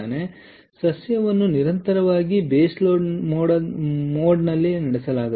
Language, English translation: Kannada, so plant is continuously operated in the base load mode